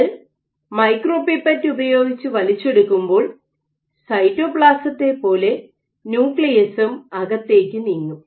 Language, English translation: Malayalam, So, what you should have is when you suck just like the cytoplasm will move in, the nucleus will also move in